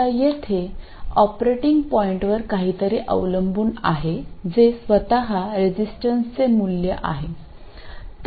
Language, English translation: Marathi, Now, there is something on the operating point here that is the value of the resistance itself